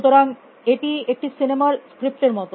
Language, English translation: Bengali, So, it is like a movie script